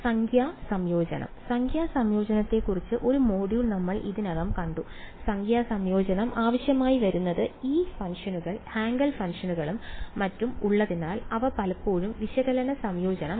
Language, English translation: Malayalam, Numerical integration, we have already seen one module on numerical integration and the reason why numerical integration is necessary is because these functions Hankel functions and so on, they are often not analytical integrable